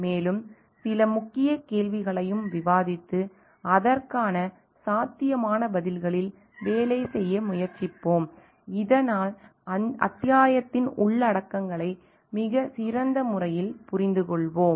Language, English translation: Tamil, And like we will discuss some key questions also and try to work on it is probable answers so that we get to understand the contents of the chapter in a much better way